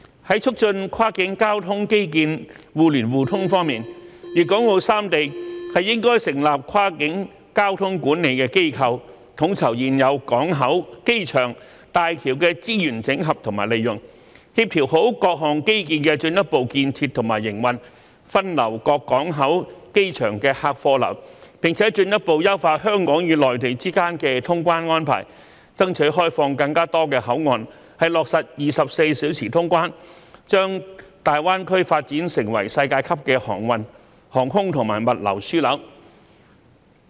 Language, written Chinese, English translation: Cantonese, 在促進跨境交通基建互聯互通方面，粵港澳三地應成立跨境交通管理機構，統籌現有港口、機場和大橋的資源整合及利用，做好協調各項基建的進一步建設和營運，分流各港口及機場的客運和貨運，並進一步優化香港與內地之間的通關安排，爭取開放更多口岸落實24小時通關，從而將大灣區發展成為世界級的航運、航空和物流樞紐。, In relation to promoting connectivity in cross - boundary transport infrastructure Guangdong Hong Kong and Macao should set up a cross - boundary transport management institution to coordinate resource alignment and utilization of the existing ports airports and bridges make proper planning on further construction and operation of various infrastructural facilities rationalize the passenger and traffic flows amongst various ports and airports further fine - tune the arrangements for customs clearance of goods between Hong Kong and the Mainland and strive for the opening up of more boundary control points to implement 24 - hour clearance operation thereby developing GBA into a world - class transportation aviation and logistics hub